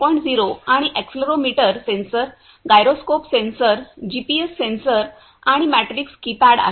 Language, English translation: Marathi, 0 and accelerometer sensor, gyroscope sensor, GPS sensor and matrix keypad